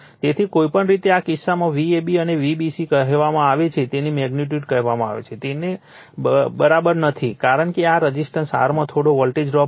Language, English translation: Gujarati, So, anyway, so in this case your, what you call in this case V ab or V bc, their magnitude not exactly equal to the your what you call the because there is some voltage drop will be there in this R in the resistance right